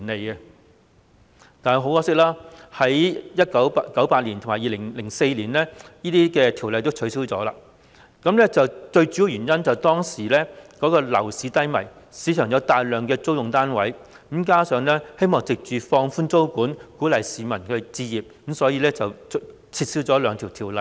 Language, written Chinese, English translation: Cantonese, 很可惜，這些法例先後在1998年和2004年撤銷，最主要的原因是當時樓市低迷，市場上有大量出租單位，加上政府希望藉放寬租務管制，鼓勵市民置業，所以撤銷這兩項條例。, Unfortunately however these laws were repealed in 1998 and 2004 respectively mainly due to the slump in the property market at that time . The two ordinances were repealed since there were a large number of rental housing units in the market and the Government also hoped to encourage the public to acquire their own flats through relaxing the tenancy control . However the current socio - economic environment in Hong Kong has already changed